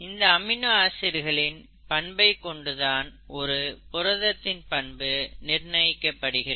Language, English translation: Tamil, The nature of the amino acids, actually determines the nature of the proteins